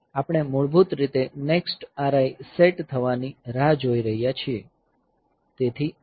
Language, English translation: Gujarati, So, we are basically waiting for getting the next R I being set, so J N B RI L 2